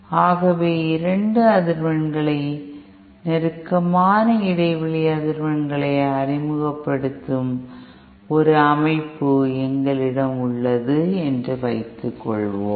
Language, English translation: Tamil, So suppose we have a system where we are introducing 2 frequencies, closely spaced frequencies